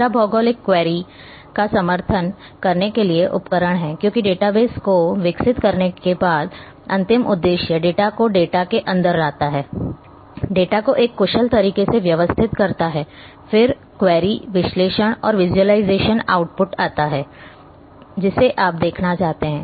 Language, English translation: Hindi, Third is the tools for support geographic query, because ultimate aim after developing the database bring the data inside the data, organizing the data in a efficient manner then comes the query, analysis and visualization output which you are looking